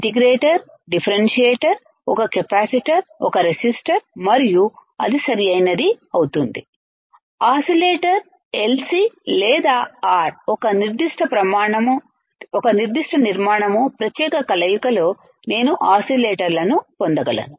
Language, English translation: Telugu, Integrator, differentiator, one capacitor, one resistor and that will that will be it right; oscillators LC or R in a particular formation particular combination I can get oscillators